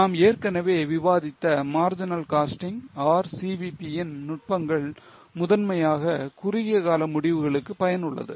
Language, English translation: Tamil, As we have already discussed, the technique of marginal costing or CVP is primarily useful for short term decisions